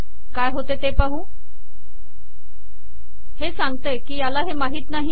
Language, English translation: Marathi, What happens now, here it says that it doesnt know that